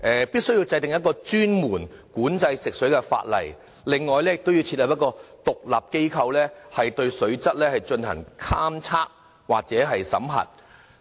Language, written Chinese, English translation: Cantonese, 必須制定專門管制食水的法例，亦要設立一個獨立機構，對水質進行監測及審核。, The Government must enact specific law to regulate the drinking water . An independent institution for the monitoring and checking of water quality must also be in place